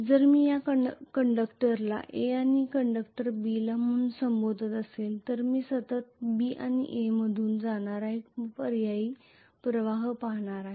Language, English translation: Marathi, If I call this conductor as A and this conductor as B I am going to see an alternating current continuously going through B and A